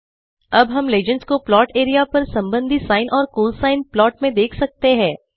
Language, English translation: Hindi, Now we can see the legends being displayed for the respective sine and cosine plots on the plot area